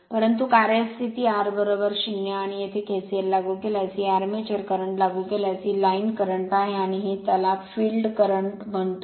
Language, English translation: Marathi, But a running condition r is equal to 0, and if you apply KCL here, if you apply this is your armature current, this is your line current, and this is your, what you call that a field current